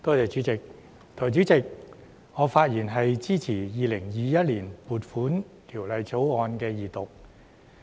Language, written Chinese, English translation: Cantonese, 代理主席，我發言支持《2021年撥款條例草案》二讀。, Deputy President I speak in support of the Second Reading of the Appropriation Bill 2021